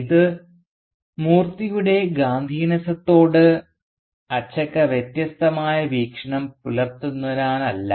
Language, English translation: Malayalam, And the reason for this is not because Achakka takes a different view towards Moorthy's Gandhianism